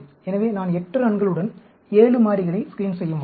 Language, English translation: Tamil, So, I can screen 7 variables with 8 runs